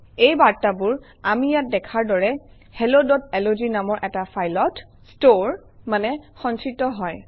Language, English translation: Assamese, These messages are stored in a file hello.log as we see here